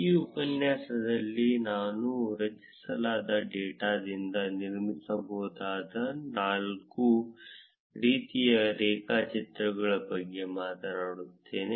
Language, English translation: Kannada, In this tutorial, I will talk about four types of graphs that one can build from the data that is being generated